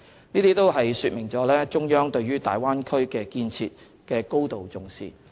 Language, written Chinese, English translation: Cantonese, 這都說明了中央對大灣區建設的高度重視。, This illustrates the great importance attached by the Central Authorities to the Bay Area development